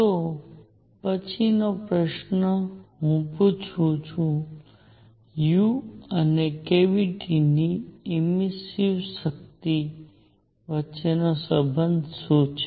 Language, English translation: Gujarati, So next question I ask is; what is the relationship between u and the immersive power of the cavity